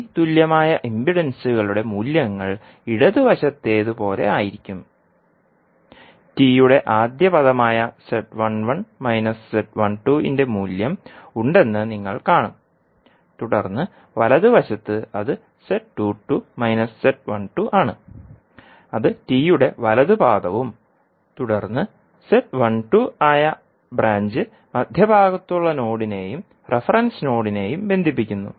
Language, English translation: Malayalam, So the values of impedances for T equivalent would be like in the left side you will see there will be the value of Z11 minus Z12 that is the first leg of T, then on the right you will see that is Z22 minus Z12 that is the right leg of the T and then the branch that is Z12, which is connecting the node which is at the centre and the reference node